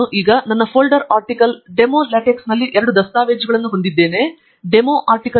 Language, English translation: Kannada, I have now in my folder, ArticleDemoLaTeX, two documents DemoArticle